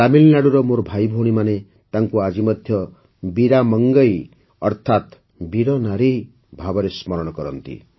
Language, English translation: Odia, My brothers and sisters of Tamil Nadu still remember her by the name of Veera Mangai i